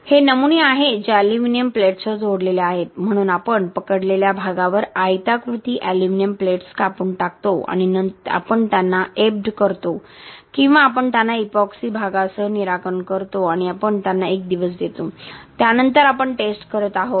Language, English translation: Marathi, These are specimens that is attached with aluminium plates so we cut out rectangular aluminium plates on the gripping area and we ebbed them or we fix them with epoxy regions and we let them cure for 1 day, then we are doing the test after that